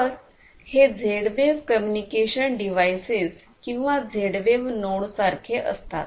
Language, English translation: Marathi, So, these are like these Z wave communication devices or the Z wave nodes commonly known as Z wave nodes